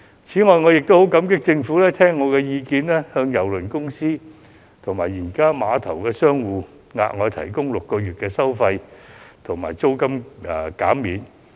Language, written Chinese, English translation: Cantonese, 此外，我亦很感激政府聽取我的意見，向郵輪公司及碼頭商戶，額外提供6個月的費用及租金減免。, Also I greatly appreciate that the Government was willing to listen to me and offered additional fee and rent reduction to cruise lines and tenants for six months